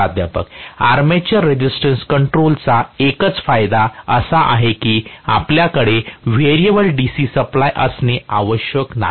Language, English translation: Marathi, See armature resistance control only advantage is you do not have to have a variable DC supply at all